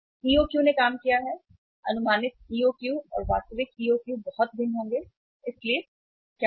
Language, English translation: Hindi, The that the EOQ worked out, estimated EOQ and actual EOQ will be much different so what will happen